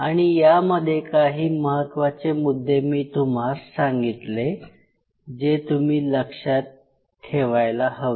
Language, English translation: Marathi, And there are certain points which you have to kept keep in mind